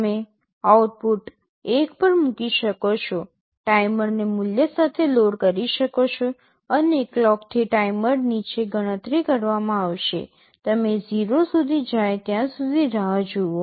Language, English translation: Gujarati, You can put the output to 1, load the timer with a value, and with a clock the timer will be down counting, you wait till it goes 0